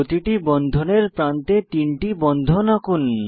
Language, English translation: Bengali, On each edge of the bond let us draw three bonds